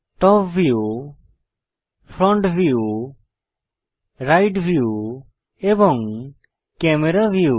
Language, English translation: Bengali, Top view, Front view, Right view and Camera view